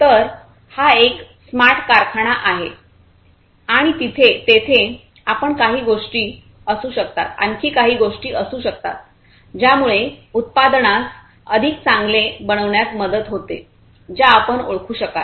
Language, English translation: Marathi, So, this is a smart factory and there are there could be few other things that you might be also able to identify, which can help in making the product smarter